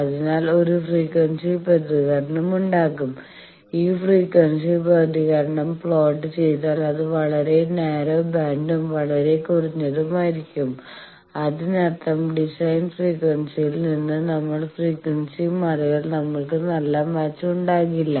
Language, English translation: Malayalam, So, there will be a frequency response and this if we plot this frequency response it will be quite narrow band and quite sharp; that means, just if we off the frequency off the design frequency we are not having a very good match